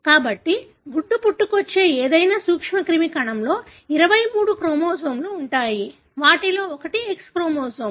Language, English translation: Telugu, So, any germ cell which gives rise to an egg would have 23 chromosomes, of which one would be the X chromosome